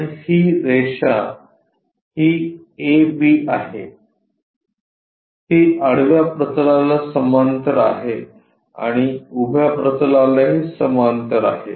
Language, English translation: Marathi, So, the line this is A B, it is parallel to horizontal plane and also parallel to vertical plane